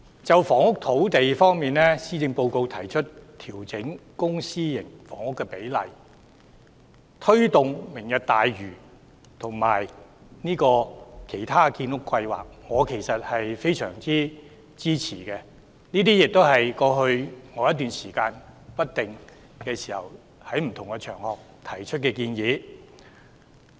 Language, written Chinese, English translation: Cantonese, 就房屋和土地方面，施政報告提出調整公私營房屋比例，推動"明日大嶼"及其他建屋計劃，我非常支持，亦回應了我在過去一段時間在不同場合不定期提出的建議。, Insofar as housing and land are concerned the Policy Address proposes to adjust the ratio of public and private housing as well as take forward Lantau Tomorrow and other housing construction projects . I fully support these initiatives which respond to the suggestions raised by me on various occasions for some time in the past